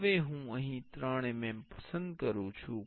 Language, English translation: Gujarati, Now, here I am choosing 3 mm